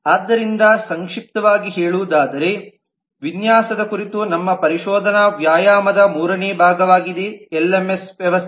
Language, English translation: Kannada, so to summarize this has been the third part of our exploratory exercise on the design of the lms system